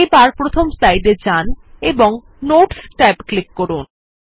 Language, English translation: Bengali, Lets go to the first slide and click on the Notes tab